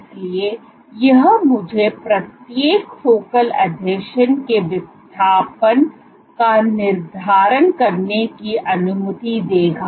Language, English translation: Hindi, So, this would allow me to determine displacement of each focal adhesion